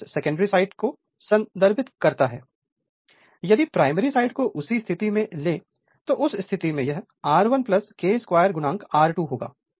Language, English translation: Hindi, Resistance refer to the secondary side if you take on the primary side same thing in that case it will be R 1 plus your K square into R 2 right